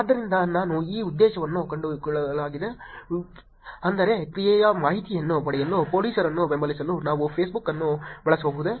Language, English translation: Kannada, So, let me just break this objective into pieces, which is, can we use Facebook to support police to get actionable information